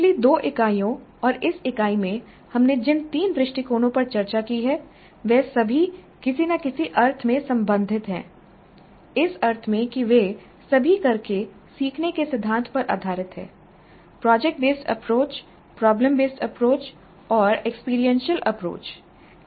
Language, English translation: Hindi, And the three approaches which we have discussed in the last two units and this unit they are all related in some sense in the sense that they all are based on the principle of learning by doing, project based approach, problem based approach and experiential approach